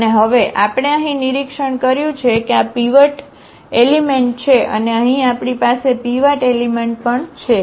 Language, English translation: Gujarati, And now, we observe here that this is the pivot element and here also we have the pivot element